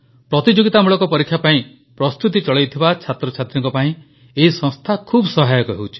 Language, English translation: Odia, This organisation is very helpful to students who are preparing for competitive exams